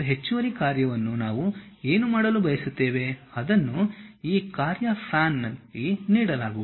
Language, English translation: Kannada, And additional task what we would like to do, that will be given at this task pan